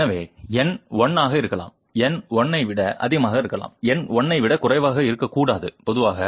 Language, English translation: Tamil, So, these n can be one, n can be greater than one, and should not be less than one typically